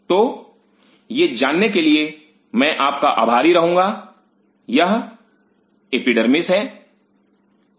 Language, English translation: Hindi, So, I am just kind of you know this is the epidermis